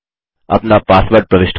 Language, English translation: Hindi, Enter your password